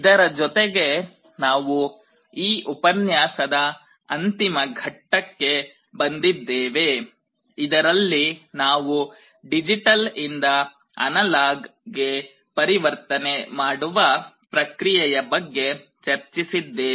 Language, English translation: Kannada, With this we come to the end of this lecture where we had discussed the process of digital to analog conversion